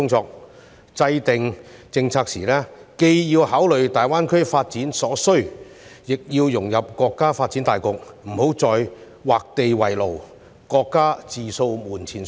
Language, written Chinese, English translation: Cantonese, 在制訂政策時，既要考慮大灣區發展所需，亦要融入國家發展大局，不要再劃地為牢，各家自掃門前雪。, In formulating policies the Government has to consider the needs of the development of GBA and integrate with the main development pattern of the country